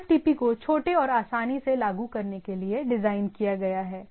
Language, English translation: Hindi, TFTP is designated for small and easy to implement